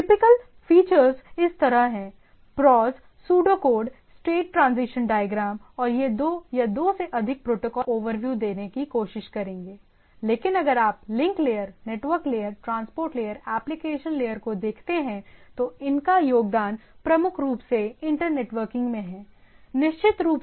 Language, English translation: Hindi, So, typical features are like that can there are there are prose, pseudo code, state transition diagram and it allows interoperability when two or more protocol that implement the specification accurately, and overall it is guided by IETF right, Internet Engineering Task Force